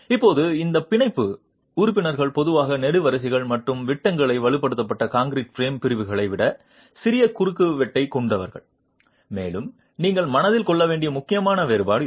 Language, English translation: Tamil, Now these tie members are typically of smaller cross section than the reinforced concrete frame sections of columns and beams and that is an important difference that you must keep in mind